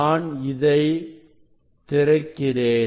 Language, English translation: Tamil, I just unlock it